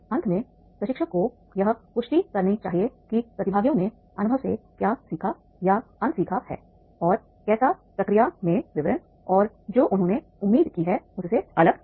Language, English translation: Hindi, Finally, trainers should confirm that what participants learned or unlearned from the experience and how are the details in the process were different from what they have expected